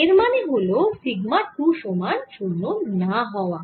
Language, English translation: Bengali, that means sigma one is non zero